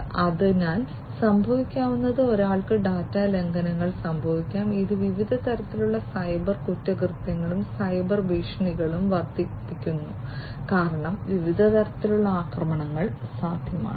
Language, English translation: Malayalam, So, what might happen is one might incur data breaches, which increases different types of cyber crimes and cyber threats because there are different types of attacks, that are possible